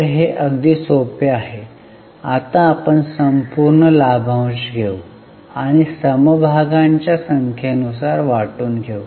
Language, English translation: Marathi, So, it is simple now we will take total dividend and divide it by number of shares